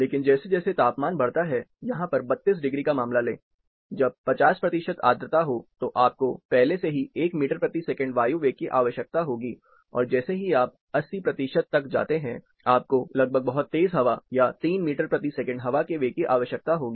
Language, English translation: Hindi, But as the temperature increases, take a case of say 32 degrees here, when it is 50 percent humid, you will already need 1 meter per second air velocity, and as you go up say 80 percentage, you will almost need a very strong wind, or 3 meter per second air velocity